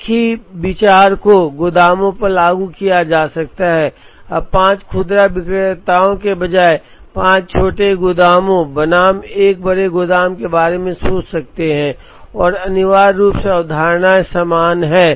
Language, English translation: Hindi, The same idea can be applied to warehouses, now instead of five retailers, one could think of five small warehouses versus a single large warehouse and essentially the concepts are the same